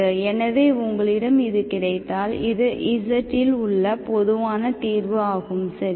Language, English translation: Tamil, So you have, this is the general solution, this is the general solution, general solution in z, okay